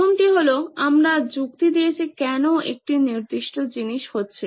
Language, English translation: Bengali, So the first one is we reasoned out why a certain thing happening